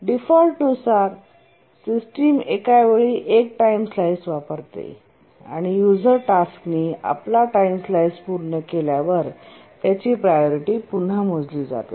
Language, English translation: Marathi, And the system by default uses a one second time slice and the tasks after the complete their time slice, the user tasks once they complete their time slice, the priorities are recomputed